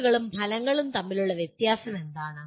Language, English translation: Malayalam, What is the difference between outputs and outcomes